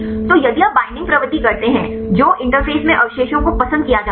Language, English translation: Hindi, So, if you do the binding propensity which residues are preferred at the interface